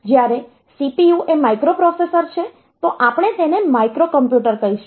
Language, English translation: Gujarati, So, this when we talk, this CPU when the CPU is a microprocessor then we will call it a microcomputer